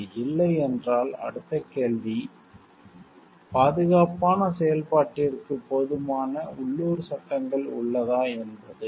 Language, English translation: Tamil, If it is no, then next question comes are local laws adequate for safe operation